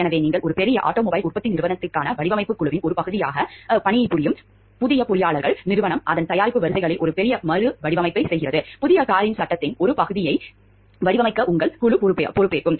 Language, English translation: Tamil, So, you are a new engineer working as a part of a design team for a large automobile manufacturing company, the company is doing a major redesign of one of its product lines, your team is responsible for designing part of the frame of the new car